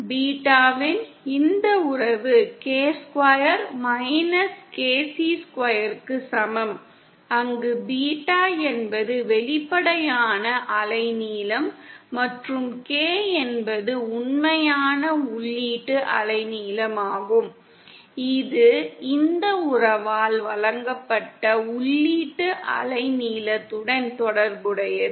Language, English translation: Tamil, By this relationship of beta is equal to K square minus KC square, Where beta is the apparent wavelength and K is the real inputted wave length, related to the inputted wavelength is given by this relationships